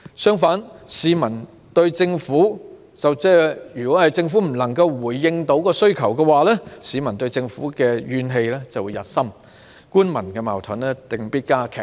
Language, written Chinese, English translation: Cantonese, 相反，如果政府不能回應需求，市民便會對政府怨氣日深，官民矛盾定必加劇。, On the contrary if the Government fails to respond to the demands of the community social grievances will intensify and conflicts between the Government and the public will definitely become more serious